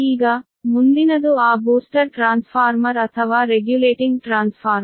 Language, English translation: Kannada, next, is that booster transformer or regulating transformer